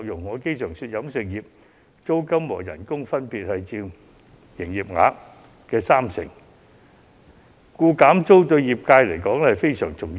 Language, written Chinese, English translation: Cantonese, 我常說租金和工資各佔飲食業營業額的三成，故此減租對業界來說非常重要。, As I often say rents and wages each represent 30 % of the business turnovers of catering businesses . Rent cuts are hence crucial to business survival